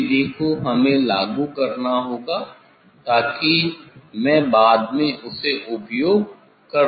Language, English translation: Hindi, that method we have to apply so that, I will apply later on